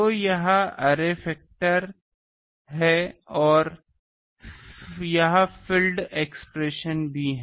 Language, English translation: Hindi, So, this is array factor and this is also field expression